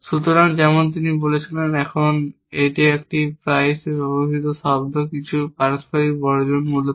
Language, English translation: Bengali, So, as he told with, now this is an often use term some mutual exclusion essentially, so we will have this notion of